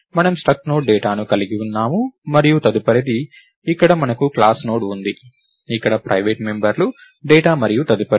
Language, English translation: Telugu, So, we had struct Node data and next, here we have class Node where the private members are data and next